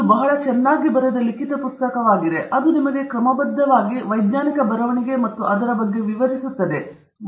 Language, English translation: Kannada, It’s a very nicely written book which very methodically explains to you, what is scientific writing and how you go about it